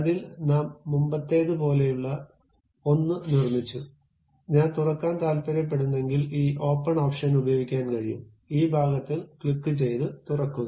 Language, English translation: Malayalam, In that, we have constructed something like already a previous one, if I want to open that we can use this open option click that part and open it